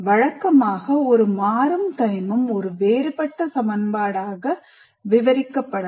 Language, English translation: Tamil, And normally a dynamic element can be described as a differential equation